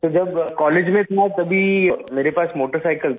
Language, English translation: Hindi, Sir, I had a motorcycle when I was in college